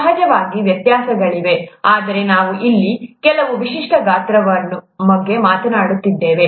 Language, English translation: Kannada, There are variations of course, but we are talking of some typical sizes here